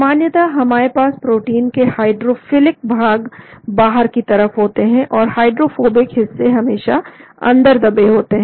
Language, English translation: Hindi, So generally we have all the hydrophilic portions of the protein coming out, and the hydrophobic portion is always buried inside